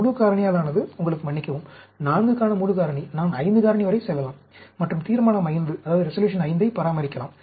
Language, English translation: Tamil, Full factorial will give you, sorry, full factorial of 4, I can go up to 5 factorial, and maintain Resolution V